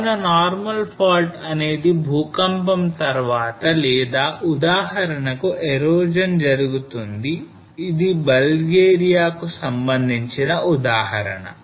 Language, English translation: Telugu, So normal fault after the earthquake or for example the erosion it takes place this is an example from Bulgaria